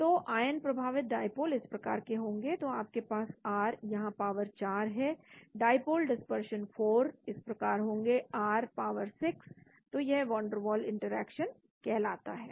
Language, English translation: Hindi, So ion induced dipole will be like this, so you have r power 4 coming here, the dipole dispersion forces will be like this r power 6, so this is called the van der waal interaction